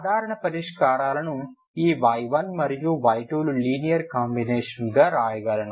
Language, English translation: Telugu, Then I can solve it I can write the general solutions as linear combination of this y 1 and y 2